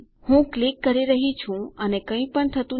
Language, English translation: Gujarati, I have been clicking and nothing is being done